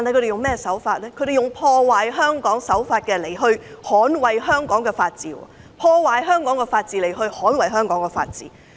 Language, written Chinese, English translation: Cantonese, 他們採用破壞香港的手法來捍衞香港的法治，透過破壞香港的法治來捍衞香港的法治。, They have adopted the approach of defending the rule of law in Hong Kong by undermining the rule of law in Hong Kong